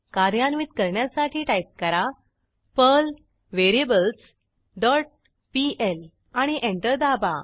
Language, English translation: Marathi, Execute the script by typing perl variables dot pl and press Enter